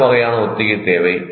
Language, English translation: Tamil, What kind of rehearsal is required